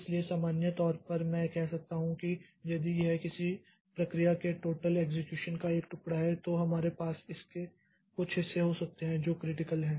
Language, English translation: Hindi, So, in general I can say that if this is a piece of total execution of a process then we can have some portions of it which are critical